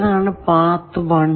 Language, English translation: Malayalam, What is path 1